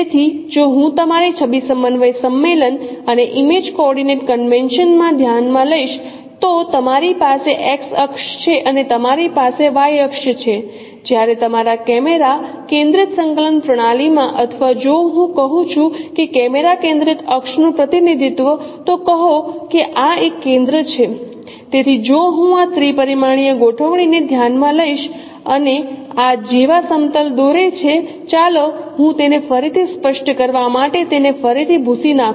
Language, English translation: Gujarati, So, if I consider your image coordinates convention and in image coordinate convention you have x axis and you have y axis whereas in your camera centric coordinate system or if I say camera centric access representation say this is a center so if I consider this three dimensional configuration and draw planes like this, let me rub it once again just to make it clear